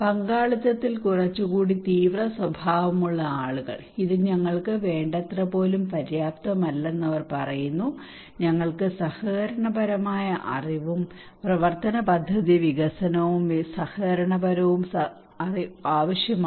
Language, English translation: Malayalam, Some more radical people in participations, they are saying this is not even enough what we need, we need collaborative knowledge and action plan development collaborative, collaborative knowledge